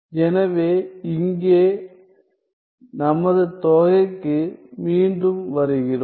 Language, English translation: Tamil, So, coming back to our integral here